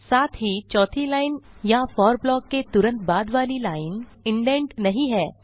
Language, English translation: Hindi, Also, the fourth line or the immediate line after the for block is not indented